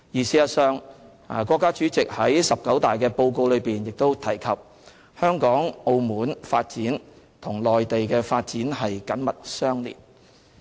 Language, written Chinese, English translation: Cantonese, 事實上，國家主席在中國共產黨第十九次全國代表大會的報告中亦提及"香港、澳門發展同內地發展緊密相連。, In fact in his report to the 19 National Congress of the Communist Party of China the State President also mentioned that the development of Hong Kong and Macao is closely tied up with that of the Mainland